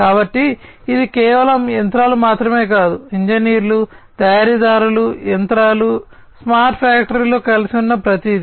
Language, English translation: Telugu, So, it is not just machinery, but engineers, manufacturers, machinery, everything connected together in a smart factory